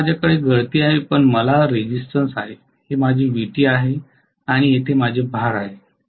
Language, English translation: Marathi, Now I have the leakage then I have the resistance, this is my Vt and here is my load